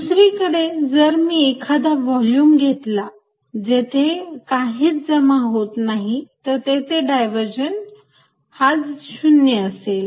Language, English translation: Marathi, On the other hand, if I take volume here nothing accumulates then divergent is 0